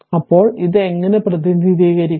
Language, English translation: Malayalam, So how we will represent this one